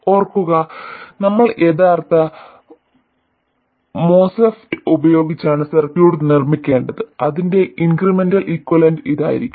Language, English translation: Malayalam, Remember, we have to make the circuit with a real MOSFET and its incremental equivalent should turn out to be this